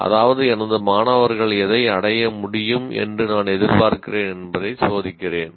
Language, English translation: Tamil, That is, I am testing what I am expecting my students to be able to attain